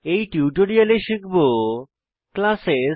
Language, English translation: Bengali, In this tutorial we will learn, Classes